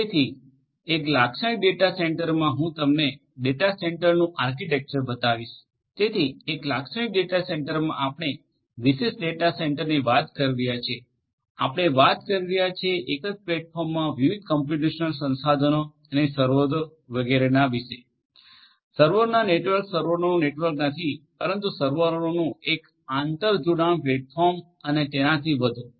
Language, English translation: Gujarati, So, in a typical data centre so I am going to show you the architecture of a data centre; so, in a typical data centre we are talking about what in a typical data centre we are talking about the a single platform of different computational resources and servers etcetera etcetera, a network of servers not a network of servers, but a an interconnected you know platform of servers and so on